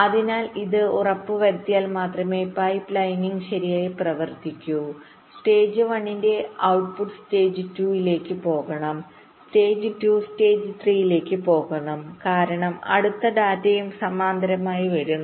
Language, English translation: Malayalam, so if this is ensured, only then the pipelining should work properly that the, the output of stage one should go to stage two, stage two go to stage three, because the next data is also coming parallely